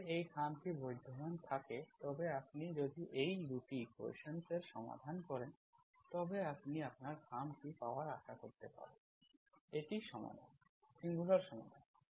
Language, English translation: Bengali, Then this, envelope exists then if you, if you solve these 2 equations, then you can get, you can expect to get your envelope, that is solutions, singular solutions